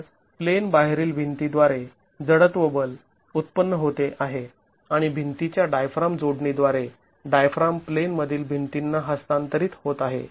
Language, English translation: Marathi, So, the inertial force is generated by the out of plane walls and the diaphragm is transferred to the in plane wall through the wall diaphragm connection